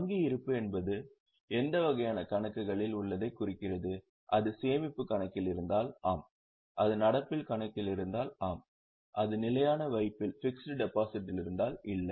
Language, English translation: Tamil, So balance plus bank balance both are considered bank balance in which type of accounts if it is in a saving account yes if it is in current account yes if it is in fixed deposit no because as for definition, it should be a demand deposit